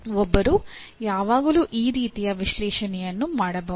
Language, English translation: Kannada, One can always do that kind of analysis